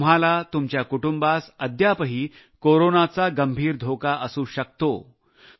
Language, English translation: Marathi, You, your family, may still face grave danger from Corona